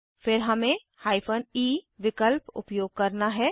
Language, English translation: Hindi, Then we have to use the hyphen e option